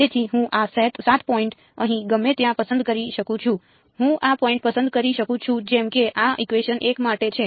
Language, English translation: Gujarati, So, I could choose these 7 points anywhere here, I could choose these points like this right for this is for equation 1